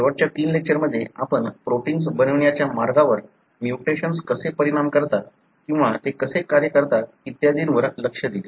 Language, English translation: Marathi, In the last three lectures we looked into how mutations affect the way the proteins are being made or how they function and so on